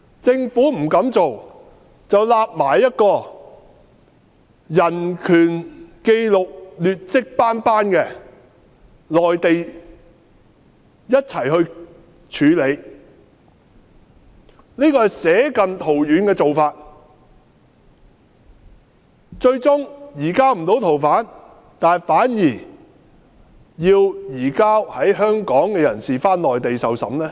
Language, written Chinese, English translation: Cantonese, 政府不這樣做，卻一併處理移交逃犯至人權紀錄劣跡斑斑的內地，這是捨近圖遠的做法，最終不能移交逃犯至台灣，反而卻移交在香港的人士到內地受審。, Instead it takes a broad - brush approach to allow the surrender of fugitive offenders to the Mainland which is notorious for its poor human right records . That is putting the cart before the horse . At the end of the day the Government will not be able to surrender the fugitive to Taiwan but will surrender Hong Kong people to the Mainland for trial